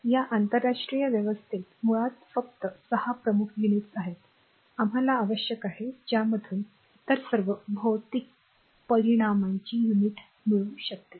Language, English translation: Marathi, So, basically in this international system there are 6 principal units basically 6 only 6 principal unit, we need from which the units of all other physical quantities can be obtain right